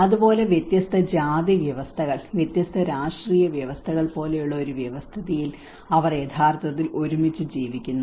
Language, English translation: Malayalam, And similarly in a system like different cast systems, different political systems when they are actually living together